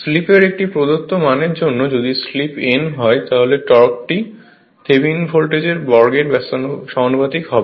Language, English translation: Bengali, For a given value of slip if slip is known, the torque is then proportional to the square of the your voltage that is Thevenin voltage right